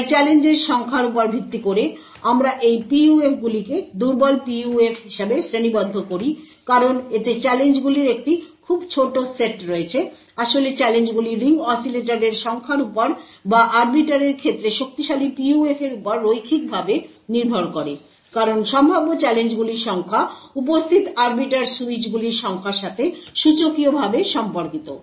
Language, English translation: Bengali, So based on the number of challenges we categorize these PUFs as a weak PUF because it has a very small set of challenges, in fact the challenges linearly dependent on the number of ring oscillators or the strong PUF in case of arbiter because the number of challenges that are possible are exponentially related to the number of arbiter switches that are present